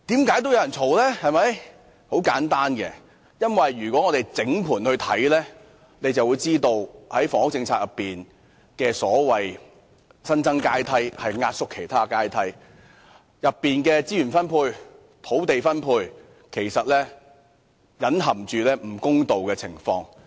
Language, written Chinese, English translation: Cantonese, 原因很簡單，如果大家作通盤審視，便會發現在房屋政策中所謂的"新增階梯"，其實是壓縮其他階梯，當中涉及的資源及土地分配其實隱含不公道的情況。, The reason is simple . If Members examine it in a holistic manner they will find that the so - called additional ladder in the housing policy is actually built by compressing other housing ladders . The distribution of resources and land involved in the process is actually marked by hidden injustice